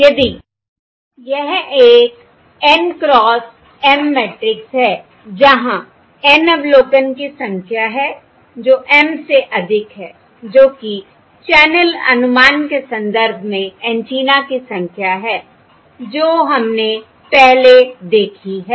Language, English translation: Hindi, If it is an N cross M matrix, where N is the number of observations, is more than M, the number of antennas in the context of channel estimation